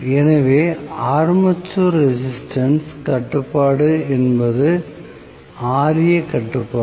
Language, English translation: Tamil, So, in armature resistance control that is Ra control, right